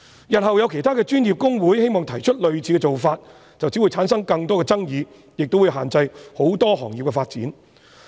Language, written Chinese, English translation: Cantonese, 日後有其他專業公會希望提出類似的做法，便只會產生更多的爭議，亦會限制很多行業的發展。, If in future other professional institutes wish to adopt a similar approach it will only create more disputes and restrict the development of many professions